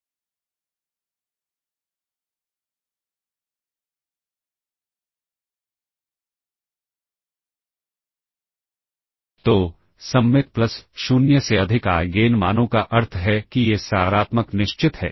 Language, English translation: Hindi, So, symmetric plus the Eigen values greater than 0 implies A is positive definite ok